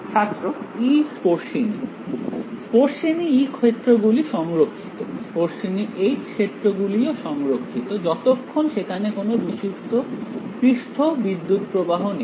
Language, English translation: Bengali, Tangential E fields are conserved, tangential H fields are conserved as long as there are no pure surface currents